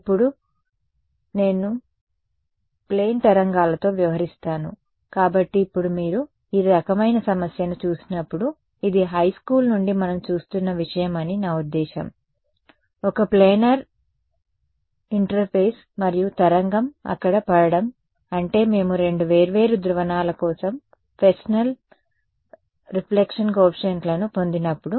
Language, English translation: Telugu, Now so, we will deal with plane waves ok; so now, when you looked at this kind of a problem I mean this is something that we have been seeing from high school, plane a planar interface and a wave falling over there that is when we have derived the Fresnel reflection coefficients for two different polarizations